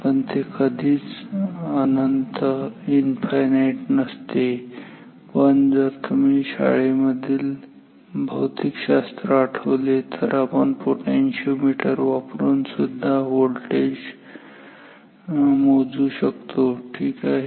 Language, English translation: Marathi, But it is never infinite, but if you recall from your high school physics we can measure voltage also using potentiometers